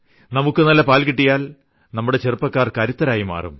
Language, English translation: Malayalam, And if we get good milk, then the young people of our country will be powerful